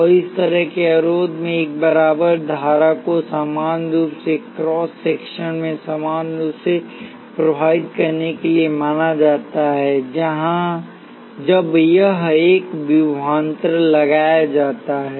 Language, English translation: Hindi, And in resistor like that a current is assume to flow uniformly across the cross section in this way, when a voltage is applied here